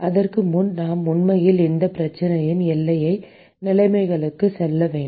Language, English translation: Tamil, Before that we should actually go to the boundary conditions of this problem